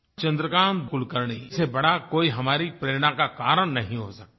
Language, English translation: Hindi, No one could be a greater source of inspiration than Chandrakant Kulkarni